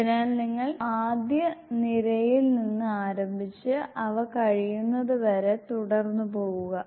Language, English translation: Malayalam, So you start from this row first row and then you go as you finish